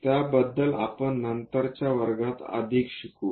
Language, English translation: Marathi, We will learn more about that in the later classes